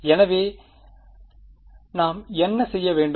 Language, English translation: Tamil, So, what should we do